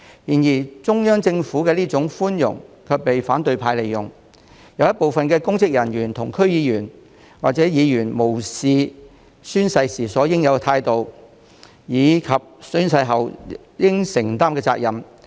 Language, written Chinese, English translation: Cantonese, 然而，中央政府的寬容卻被反對派利用，有部分公職人員和區議員或議員無視宣誓時應有的態度及宣誓後應承擔的責任。, However the tolerance of the Central Government has been exploited by the opposition camp . Some public officers and DC members or Members have showed no regard for the proper attitude to be adopted when taking an oath and the due responsibilities to be undertaken after taking the oath